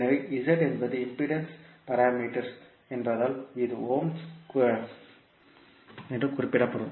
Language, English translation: Tamil, So, since the Z is impedance parameter, it will be represented in ohms